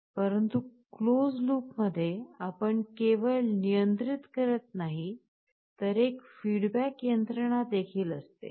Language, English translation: Marathi, But closed loop means that not only you are controlling, there is also a feedback mechanism